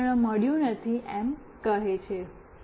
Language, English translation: Gujarati, No device found, it says